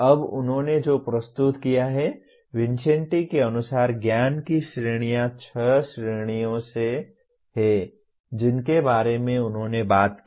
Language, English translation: Hindi, Now what he has presented, categories of knowledge as per Vincenti, there are six categories that he talked about